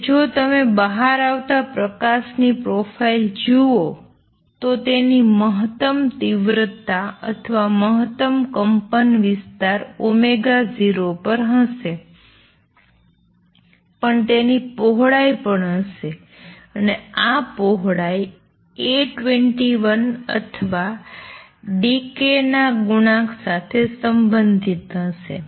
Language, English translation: Gujarati, And this is also related to which I re plot here that if you look at the profile of light coming out it will have maximum intensity or maximum amplitude at omega 0, but would also have a width and this width is going to be related to A 21 or the coefficient of decay